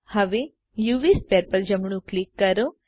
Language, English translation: Gujarati, Now, right click the UV sphere